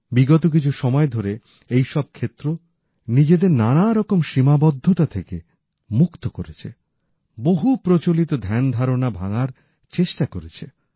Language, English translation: Bengali, In the recent past, these areas have liberated themselves from many restrictions and tried to break free from many myths